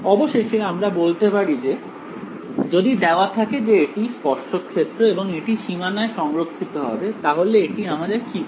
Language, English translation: Bengali, Now finally, now we can say, so given that this is the tangential field and it should be conserved at the boundary, what does this tell us